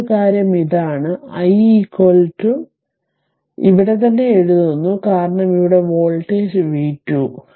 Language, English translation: Malayalam, And another thing is this i i is equal to this i is equal to writing here itself, because voltage here is v 2